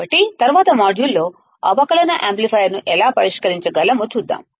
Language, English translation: Telugu, So, in the next module, we will see how we can solve the differential amplifier